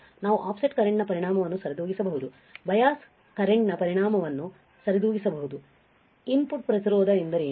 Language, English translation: Kannada, We can compensate the effect of offset current, may compensate the effect of bias current, what is input resistance